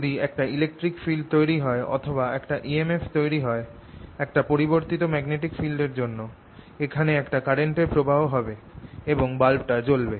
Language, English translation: Bengali, so if there is an electric field produce or there is an e m f produced due to changing magnetic field, it should produce a current here and this bulb should light up when i turn the a c on